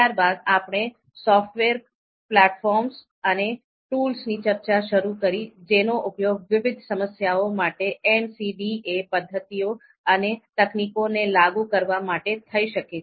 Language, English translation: Gujarati, Then we you know started our discussion on the software platforms software platforms and tools that could actually be used to apply MCDA methods and techniques to different problems, so that was also discussed